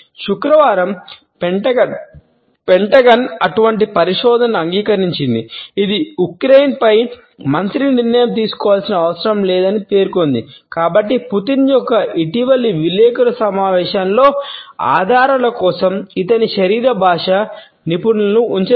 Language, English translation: Telugu, On Friday, the Pentagon acknowledged such research which says it has not made it difference need minister’s decision making on Ukraine So, that has not kept other body language experts for looking for clues in Putin’s must recent press conference